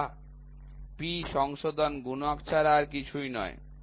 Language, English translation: Bengali, So, the P is nothing, but the correction factor